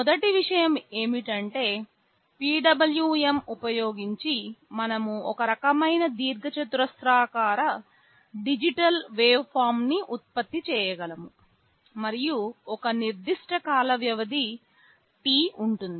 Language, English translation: Telugu, The first thing is that using PWM we can generate some kind of rectangular digital waveform, and there will be a particular time period T